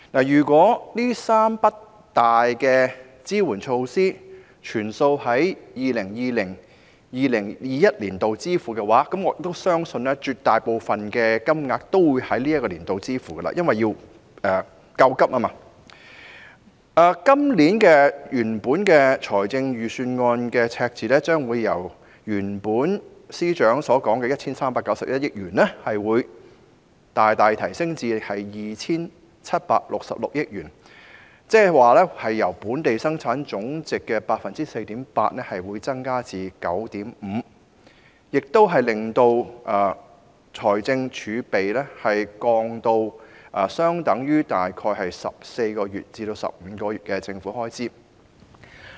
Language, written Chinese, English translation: Cantonese, 如果這3筆重大支援措施的開支悉數在 2020-2021 年度支付，而我相信絕大部分金額都會在這年度內支付，以作應急之用，今年預算案的赤字將會由司長原本所說的 1,391 億元，大大提升至 2,766 億元，即是由佔本地生產總值 4.8% 增加至 9.5%， 這亦令財政儲備下降至相等於大概14個月至15個月的政府開支。, If these three sums of substantial expenditures on support measures are spent in 2020 - 2021 and I also believe a very large portion of the amount will be disbursed within this year to meet contingency needs the deficit of this years Budget will increase significantly from 139.1 billion as previously claimed by the Financial Secretary to 276.6 billion . In other words the percentage in Gross Domestic Product GDP will increase from 4.8 % to 9.5 % thereby bringing the fiscal reserves down to about 14 to 15 months of public expenditure